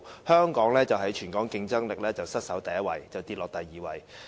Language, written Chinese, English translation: Cantonese, 香港的全球競爭力失守第一位，下跌至第二位。, Hong Kongs global competitiveness ranking has slipped from the first to the second